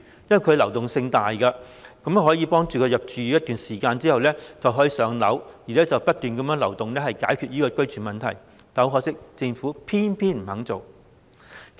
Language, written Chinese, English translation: Cantonese, 由於市民會在入住一段時間後"上樓"，流動性很大，因此可透過不斷流轉去解決居住問題，可惜政府偏偏不肯做。, As members of the public will be allocated PRH units after living there for a certain period of time high mobility can thus be achieved . The housing problems can then be solved with such continuous movement . Yet the Government is reluctant to do so